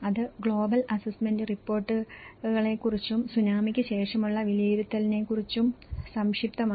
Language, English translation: Malayalam, So, that is briefly about the Global Assessment Reports and also talk about the post Tsunami assessment